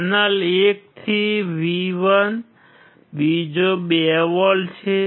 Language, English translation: Gujarati, There is one from channel 1 to V1, second 2 volts